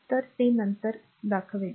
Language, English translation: Marathi, So, that will show you later